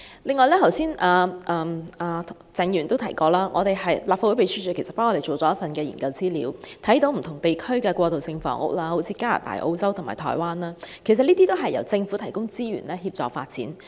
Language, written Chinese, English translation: Cantonese, 此外，鄭議員剛才也提到，立法會秘書處為我們完成了一份研究資料，可見不同地區的過渡性房屋，例如加拿大、澳洲和台灣的過渡性房屋，都是由政府提供資源協助發展。, In addition Mr CHENG also mentioned that the Legislative Council Secretariat has prepared for us a fact sheet of transitional housing in other places . It can be seen that in different places such as Canada Australia and Taiwan resources are provided by their Governments to help the development of transitional housing